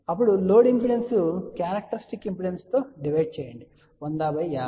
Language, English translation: Telugu, Then the load impedance divided by the characteristic impedance 100 by 50 will be equal to 2